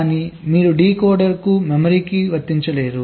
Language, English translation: Telugu, you cannot apply to a decoder, you cannot apply to a memory